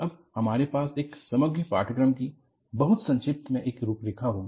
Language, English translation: Hindi, Now, we will have an overall course outline, in a very brief fashion